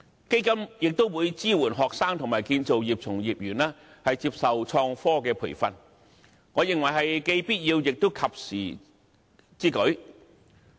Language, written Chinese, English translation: Cantonese, 基金亦會支援學生和建造業從業員接受創新科技培訓，我認為這是既必要，也是及時之舉。, The Fund will also support students and practitioners of the construction industry in receiving training in innovative construction technologies which I consider a necessary and timely initiative